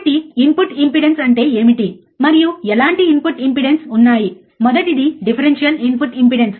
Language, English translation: Telugu, So, what is input impedance and what kind of input impedance are there, first one is your differential input impedance